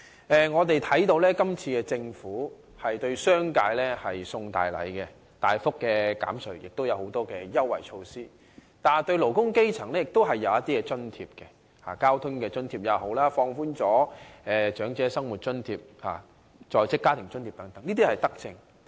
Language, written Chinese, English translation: Cantonese, 政府今次向商界送大禮，大幅減稅並提出很多優惠措施；對勞工基層亦設有一些津貼，包括交通津貼及在職家庭津貼，並放寬了長者生活津貼的資產限額，這些都是德政。, This time the Government is offering a big gift to the business sector by reducing taxes substantially and implementing many concessionary measures . For the working grass roots there are also subsidies such as Transport Subsidy and Working Family Allowance as well as the relaxation of the asset limit for the Old Age Living Allowance . All these are benevolent measures